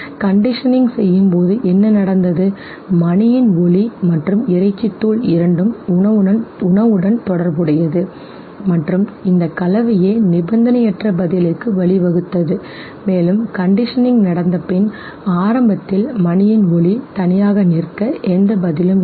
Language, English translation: Tamil, During conditioning what happened, the sound of the bell and the meat powder, the food both got associated and it was this combination that led to the unconditioned response, and after conditioning took place okay, now what was initially leading to no response